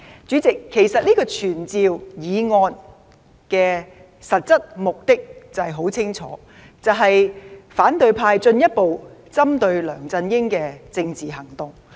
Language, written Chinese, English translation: Cantonese, 主席，其實這項傳召議案的實質目的很明顯，便是反對派進一步針對梁振英的政治行動。, President the actual purpose of the motion of summon is too obvious . The opposition is stepping up its political action against LEUNG Chun - ying